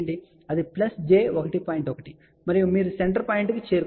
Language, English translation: Telugu, 1 and you will reach the central point